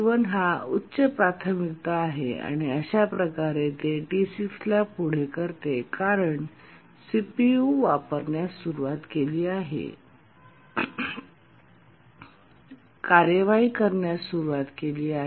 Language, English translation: Marathi, It started executing, preempted T6, because T1 is a higher priority, started using the CPU, started executing